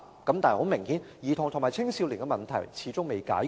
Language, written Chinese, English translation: Cantonese, 但是，很明顯，兒童及青少年的問題始終未解決。, However evidently problems of children and teenagers remained unsolved